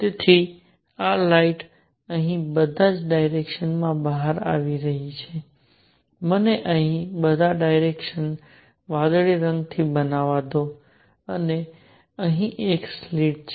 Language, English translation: Gujarati, So, this light is coming out in all directions here let me make it with blue in all directions here and here is a slit